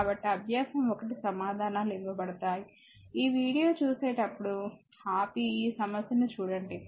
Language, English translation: Telugu, So, exercise 1 answers are given not reading again when you will read this video you can pause and see this problem